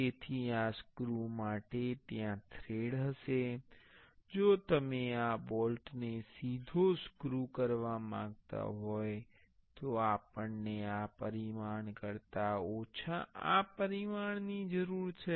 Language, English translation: Gujarati, So, therefore this screw, there will be threads, if you want to directly screw this bolt, we need this dimension less than this dimension